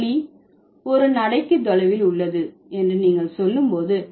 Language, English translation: Tamil, So, when you say the school is at the walkable distance